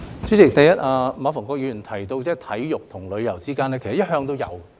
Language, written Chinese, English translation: Cantonese, 主席，馬逢國議員提到體育和旅遊之間的連結，其實一向也有。, President Mr MA Fung - kwok has mentioned the linkage between sports and tourism and this has always been the case actually